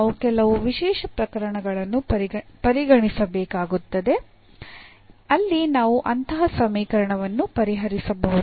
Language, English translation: Kannada, So, we will have to consider some special cases where we can solve such a equation